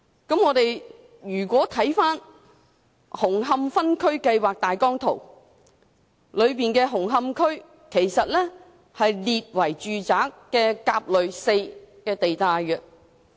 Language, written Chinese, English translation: Cantonese, 紅磡區的分區計劃大綱圖顯示，紅磡區被列為"住宅 4" 地帶。, According to the Outline Zoning Plan the Plan of Hung Hom District Hung Hom has been designated as the Residential Group A 4 RA4 zone